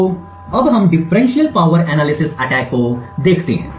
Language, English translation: Hindi, So, now let us look at the differential power analysis attack